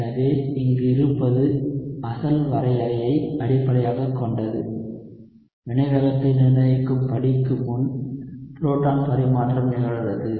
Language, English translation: Tamil, So, what we have is based on the original definition, you have proton transfer occurring before the rate determining step